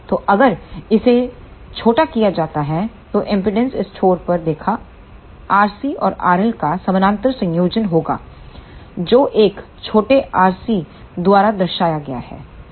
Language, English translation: Hindi, So, if this will be shortened then the impedance seen at this end will be the parallel combination of R C and R L which is represented by a small r c